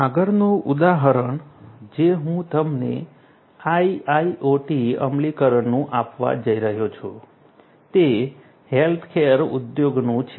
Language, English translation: Gujarati, The next example that I am going to give you of IIoT implementation is from the healthcare industry